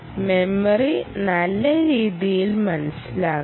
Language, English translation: Malayalam, so memory has to be understood in a nice manner